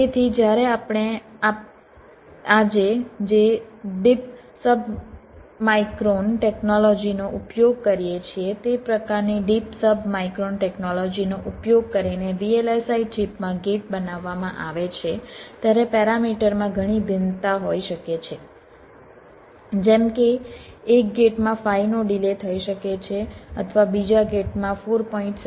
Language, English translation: Gujarati, so when gates are fabricated in the vlsi chip using the kind of deep segmum submicron technology that we use today, there can be lot of variations in parameters, like one gate can be having a delay of five, or the other gate can be having a delay of four point seven